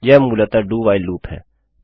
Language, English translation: Hindi, That is basically the DO WHILE loop